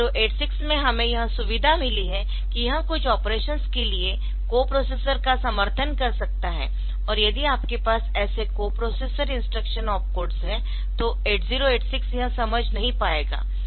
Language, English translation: Hindi, So, 8086 has got the feature that it can support co processor for some operations and those if such that co processors instructions their opcodes if you have, so 8086 will not be able to understand that